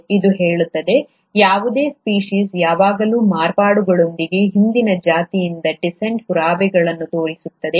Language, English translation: Kannada, It says, any species always shows an evidence of descent from a previous a species with modifications